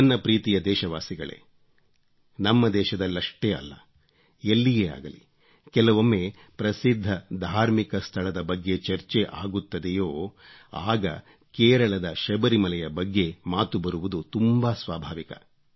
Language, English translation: Kannada, My dear countrymen, whenever there is a reference to famous religious places, not only of India but of the whole world, it is very natural to mention about the Sabrimala temple of Kerala